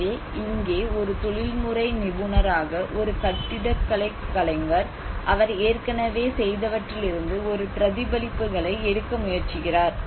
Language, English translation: Tamil, So here one can see as an architect as a professional try to take an imitations from what already he has done